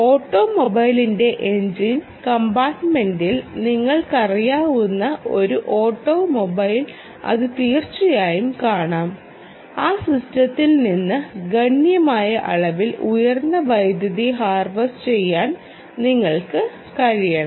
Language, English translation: Malayalam, you know in the engine compartment part of the automobile that its very possible that you should be able to harvest hm, significant amount of high power from that system